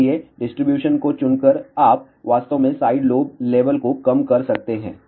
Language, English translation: Hindi, So, by choosing this distribution, you can actually reduce the sidelobe level